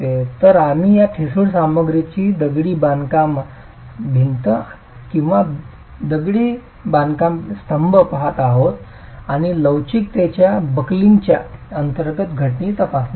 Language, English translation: Marathi, So, we are looking at a brittle material, masonry wall or masonry column and examining the phenomenon under elastic buckling itself